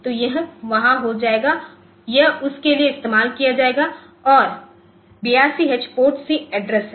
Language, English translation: Hindi, So, it will be there it will be used for that and 82 H is the PORTC address